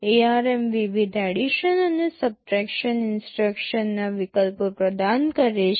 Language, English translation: Gujarati, ARM provides with various addition and subtraction instruction alternatives